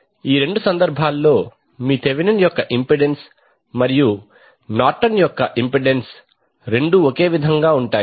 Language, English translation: Telugu, And in both of the cases your Thevenin’s impedance and Norton’s impedance will be same